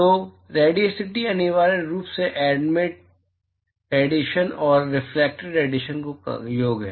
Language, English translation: Hindi, So, Radiosity is essentially the sum of, what is Emitted plus the Reflected radiation